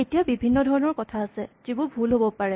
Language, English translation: Assamese, Now there are many different kinds of things that can go wrong